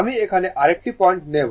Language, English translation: Bengali, You will take another point here